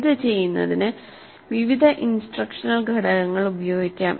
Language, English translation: Malayalam, And to do this various instructional components can be used